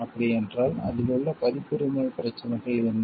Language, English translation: Tamil, Then what are the issues of copyright in it